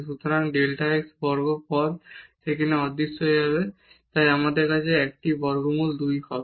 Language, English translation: Bengali, So, this delta x square terms will vanish there so, we will have 1 over square root 2